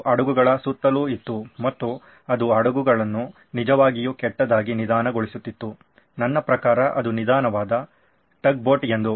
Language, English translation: Kannada, It was all around the ships hull and it was slowing down the ship really badly, that he could just I mean it was a slow tug boat after that